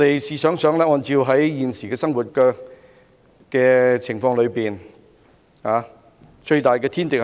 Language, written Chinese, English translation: Cantonese, 試想想，按照現時的生活情況，一個人最大的天敵是甚麼？, Given the current condition of living what is the biggest natural enemy of a person?